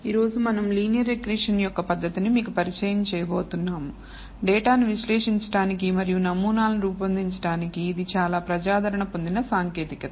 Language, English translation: Telugu, Today we are going to introduce to you the method of linear regression, which is very popular technique for analyzing data and building models